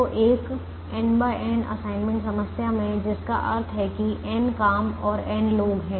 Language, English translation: Hindi, so in a n by n assignment problem, which means there are n jobs and n people